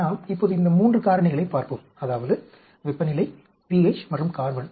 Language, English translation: Tamil, Now, let us look at these 3 factors, that is temperature, pH and carbon